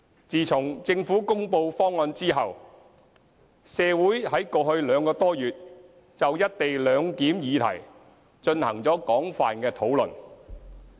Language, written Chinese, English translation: Cantonese, 自從政府公布方案後，社會在過去兩個多月就"一地兩檢"議題進行了廣泛的討論。, Since the Governments announcement of the proposal the co - location arrangement has been discussed extensively in society over the past two months or so